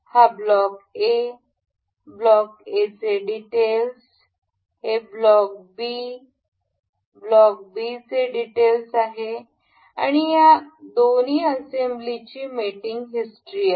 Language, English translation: Marathi, This is block A details of block A, this is details of block B and this is the mating history of these the two assembly